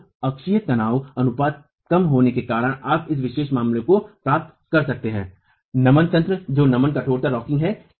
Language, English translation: Hindi, So, the axial stress ratio being low, you can get this special case of flexual mechanism which is flexible rocking